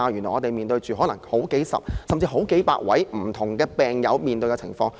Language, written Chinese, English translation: Cantonese, 我們現時須應付的，是好幾位，甚至是好幾百位不同病友所面對的情況。, What we have to deal with now is the situation faced by several or even hundreds of different patients